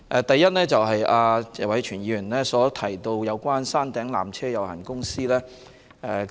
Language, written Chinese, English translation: Cantonese, 第一，謝偉銓議員提到山頂纜車有限公司。, First Mr Tony TSE mentioned the Peak Tramways Company Limited